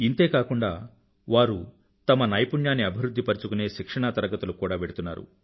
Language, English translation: Telugu, Along with this, they are undergoing a training course in skill development